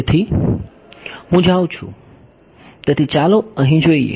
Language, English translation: Gujarati, So, I am going to; so, let us look at over here